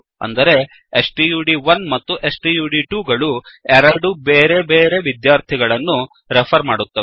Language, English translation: Kannada, That is, stud1 and stud2 are referring to two different students